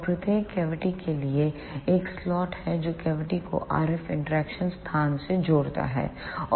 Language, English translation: Hindi, And for each cavity there is a slot which connects the cavity to the RF interaction space